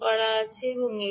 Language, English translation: Bengali, the radio come in